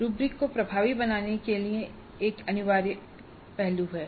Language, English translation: Hindi, This is an essential aspect to make rubrics effective